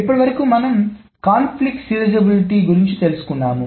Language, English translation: Telugu, Now, this is about conflict serializability